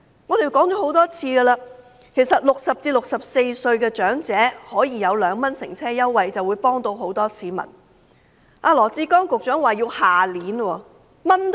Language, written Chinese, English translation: Cantonese, 我們已多次指出，若60歲至64歲的長者可享有2元乘車優惠，便能幫助到很多市民，羅致光局長卻說要待至明年，真的等到"蚊瞓"。, We have pointed out many times that if elderly people aged 60 to 64 can enjoy the 2 fare concession it can help many members of the public . But Secretary Dr LAW Chi - kwong said it has to wait until next year